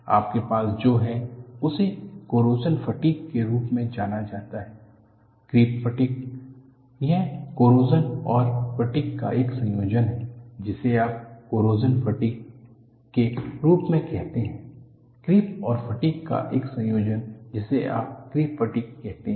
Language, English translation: Hindi, So, you can have, what is known as corrosion fatigue, creep fatigue; it is a combination of corrosion and fatigue you call it as corrosion fatigue, combination of creep and fatigue you call it as creep fatigue and you could also have liquid metal embrittlement